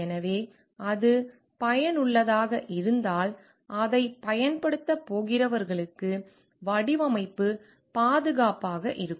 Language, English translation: Tamil, So, and if it is useful then will the design be safe for those who are going to use it